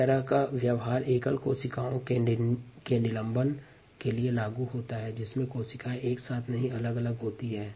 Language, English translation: Hindi, this kind of a behavior is applicable for a suspension of single cells, cells separately, not clump together, and so on and so for